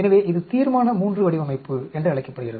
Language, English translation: Tamil, So, this is called Resolution III design